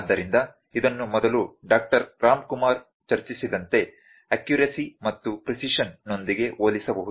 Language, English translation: Kannada, So, this can be compared with a accuracy and precision like as been discussed by Doctor Ramkumar before